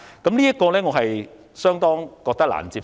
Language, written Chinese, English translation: Cantonese, 我認為，這個理由相當難以接受。, I find this reason rather unacceptable